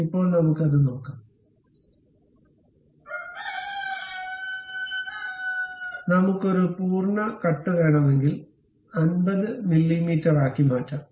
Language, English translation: Malayalam, If we want complete cut, we can really make it all the way to maybe 50 mm